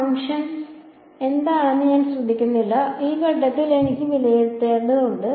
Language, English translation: Malayalam, I do not care what the function is I just need to evaluate at one point